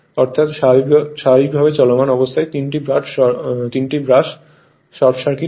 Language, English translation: Bengali, Under normal running condition the 3 brushes are short circuited